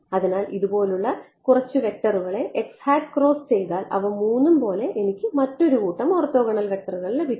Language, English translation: Malayalam, So, x hat cross some same vector all three I will just get it another set of orthogonal vectors